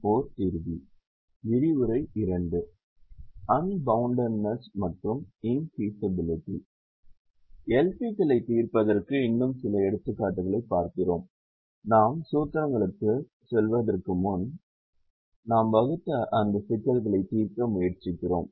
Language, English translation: Tamil, we will look at some more examples to solve l p's before we go to the formulations and try to solve those problems that we had actually formulated